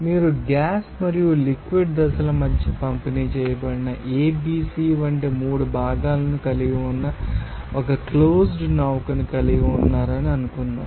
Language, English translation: Telugu, Suppose, you have a close to vessel that contains three components like ABC that is distributed between gas and liquid phases